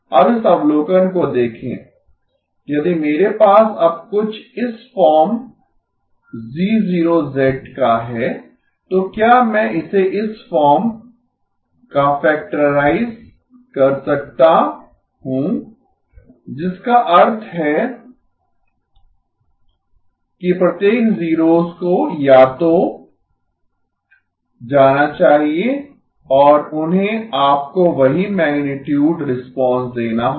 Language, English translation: Hindi, Now look at this observation, if I now have something of this form G0 of z, can I factorize it of the form H0 of z times H0 tilde of z which means every zero must either go to H of z or H tilde of z and they must give you the same magnitude response